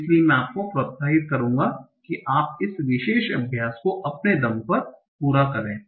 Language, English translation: Hindi, So I would encourage that you complete this particular exercise on your own